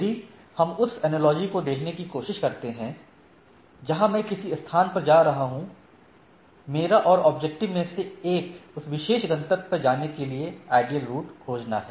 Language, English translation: Hindi, Like, if we try to look at the analogy finding the if I am going visiting a place, so, one of the objective is that find the optimal route to visit that, to reach that particular destination